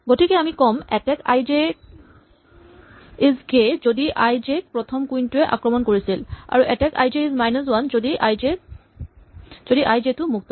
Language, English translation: Assamese, So, we say attack i j is k if i j was first attacked by queen k and attack i j is minus one if i j is free